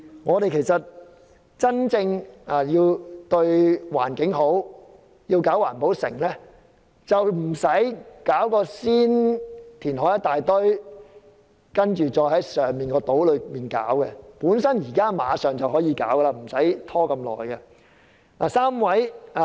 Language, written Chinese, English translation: Cantonese, 我們要真正對環境好，並不是事先大量填海，再在島上興建環保城，而是馬上可以興建環保城，不用拖這麼久。, If we truly care about the environment instead of carrying out extensive reclamation for building a green city on artificial islands we should build a green city right away without having to delay too long